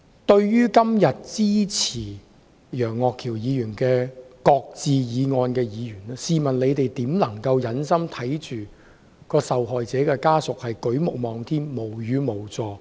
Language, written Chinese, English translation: Cantonese, 對於今天支持楊岳橋議員的"擱置議案"的議員，試問他們如何能夠忍心看着受害者家屬舉目望天、無語無助？, I have a question for Members who support Mr Alvin YEUNGs motion to shelve the amendment bill today . How can they have the heart to watch the victims family members gazing at the sky and standing speechless and helpless?